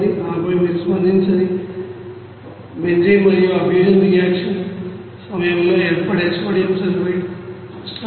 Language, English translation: Telugu, And then you will see that unreacted benzene and you know that sodium sulphate that will be formed during that fusion reaction